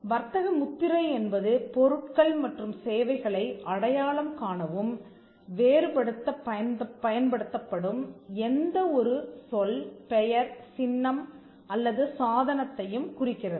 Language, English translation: Tamil, A trademark refers to any word, name, symbol or device which are used to identify and distinguish goods and services